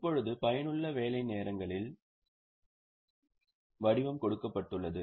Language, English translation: Tamil, Now, they have given the pattern of effective working hours